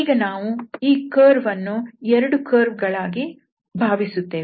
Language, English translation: Kannada, So, and then we just we break this curve into the following 2 curves